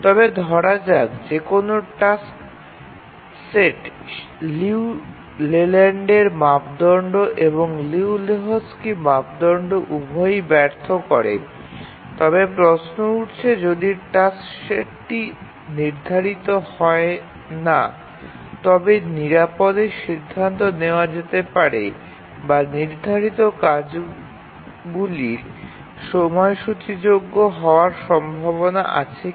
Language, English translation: Bengali, But just asking this question that suppose a task set fails the Liu Leyland's criterion and also the Liu and Lehochki's criterion, then can we safely conclude that the task set is unschedulable or is there a chance that the task set is still schedulable